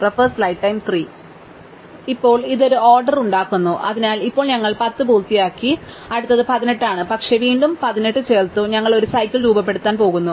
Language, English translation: Malayalam, And now this one we can add, so now we have finished the tens, so the next one is 18, but again adding 18, we going to form a cycle